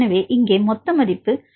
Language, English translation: Tamil, So, here the total value is equal to 0